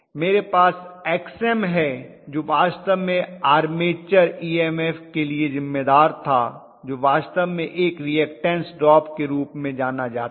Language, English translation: Hindi, I have Xm, which was actually responsible for the armature EMF which is actually perceived as a reactance drop okay